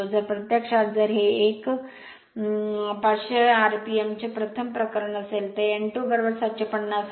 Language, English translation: Marathi, So, if you if an n 1 is 500 rpm first case and n 2 is the 750